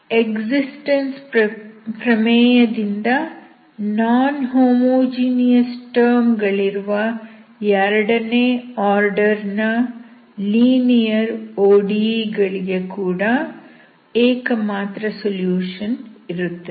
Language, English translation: Kannada, So from the existence theorem, second order linear ODE with non homogeneous term will also have unique solutions